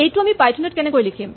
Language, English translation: Assamese, How would we write this in Python